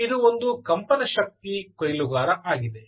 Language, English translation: Kannada, this is the vibration energy harvester